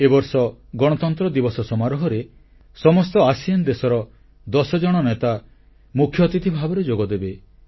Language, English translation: Odia, The Republic Day will be celebrated with leaders of all ten ASEAN countries coming to India as Chief Guests